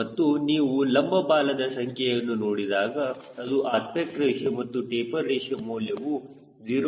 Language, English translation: Kannada, and if you see the vertical tail number shows aspect ratio and taper ratio